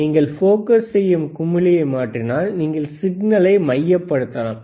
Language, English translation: Tamil, If you change the know focusing knob, you can focus the signal